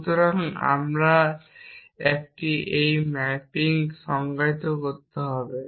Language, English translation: Bengali, So, we have to a define this mapping